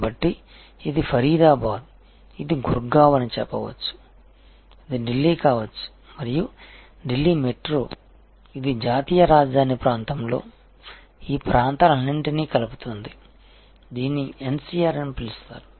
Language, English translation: Telugu, So, this is say Faridabad this would be Gurgaon, this can be Delhi and this met Delhi metro as it is called this now, connecting all these places of the national capital region know as NCR is short